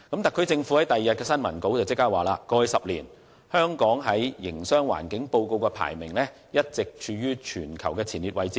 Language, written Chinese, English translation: Cantonese, 特區政府迅即在翌日的新聞稿中指出，"香港在過去十年的《營商環境報告》中，排名一直處於全球前列位置......, The SAR Government promptly stated in the press release issued the following day that [i]n the past ten years Hong Kong has maintained its position among the worlds top ranking economies in the Doing Business Report